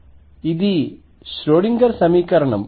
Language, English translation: Telugu, That is my Schrödinger equation